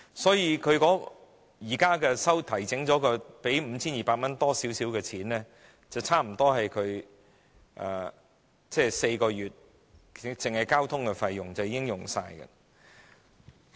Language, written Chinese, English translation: Cantonese, 所以，現在經調整後的 5,200 元多一點的金額，支付4個月的交通費後，已幾近花光。, Thus the little more than 5,200 of compensation after adjustment will nearly be gone after spending on transportation for four months